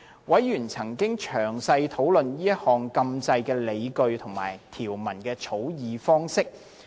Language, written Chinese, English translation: Cantonese, 委員曾詳細討論這項禁制的理據及條文的草擬方式。, Members have thoroughly discussed the justifications and the drafting of the prohibition